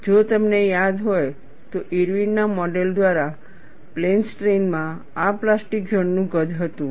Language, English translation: Gujarati, If you recall, this was the plastic zone size in plane strain by Irwin's model